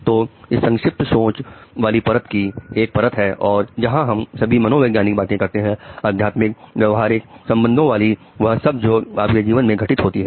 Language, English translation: Hindi, And then so this layer of abstract thinking has one more layer where we talk of all psychology, spirituality, behavior, relationship, everything which goes into your life